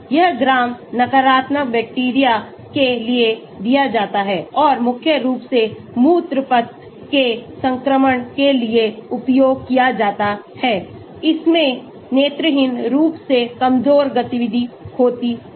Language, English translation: Hindi, this is given for gram negative bacteria and used mainly for urinary tract infections it has visibly weak activity